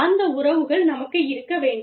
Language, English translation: Tamil, We need to have, those relationships